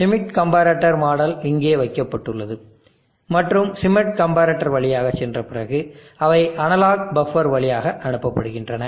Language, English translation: Tamil, The schmitt comparator model is kept here and after passing through the schmitt comparator they are pass through an analog buffer